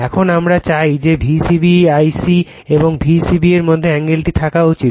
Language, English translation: Bengali, Now, you we want the angle should be in between V c b I c and V c b